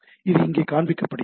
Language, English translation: Tamil, So, it is getting displayed out here